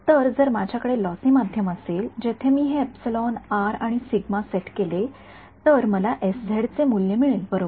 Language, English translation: Marathi, So, if I had a lossy media where I set this epsilon r and sigma I get the value of s z right